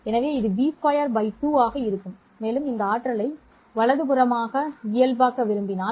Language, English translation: Tamil, So this would be b square by 2 and if we want to normalize this energy into 1